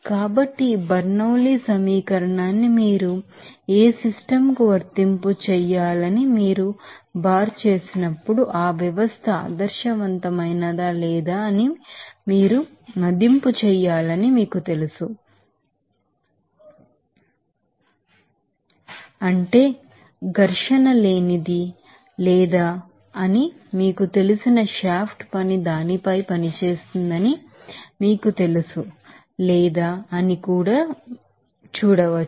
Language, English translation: Telugu, So, remember this when you bar this Bernoulli’s equation to be applied to any system that initially you have to that you know assess whether that system is ideal or not that means frictionless or not is there any you know shaft work is working on that or not that also to be you know considered